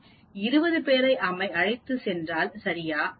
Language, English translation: Tamil, Is it ok if I just take 20 people